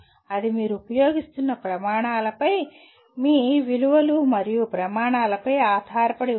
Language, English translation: Telugu, That depends on what criteria you are using depends on your values and standards